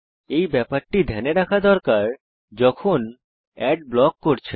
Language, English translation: Bengali, * This factor has to be considered carefully when blocking ads